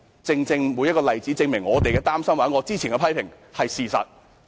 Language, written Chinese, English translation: Cantonese, 這些例子都證明我們所擔心的事或之前提出的批評皆是事實。, These examples are proof that our worries or previous criticisms are all based on facts